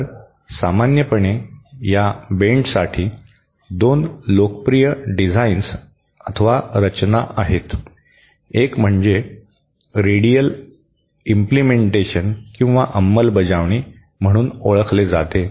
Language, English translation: Marathi, So, 2 popular designs for these bends are common, one is what is known as the radial implementation